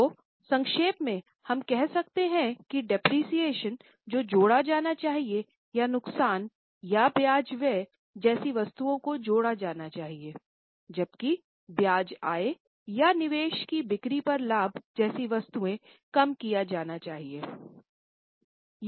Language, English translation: Hindi, So, in short we can say that the depreciation should be added or items like loss or interest expenses are added while items like interest income or profit on sale of investments are reduced